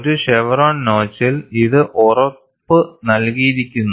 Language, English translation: Malayalam, This is assured in a chevron notch